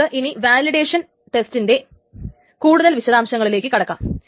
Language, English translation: Malayalam, So let us now move on to the details of the validation test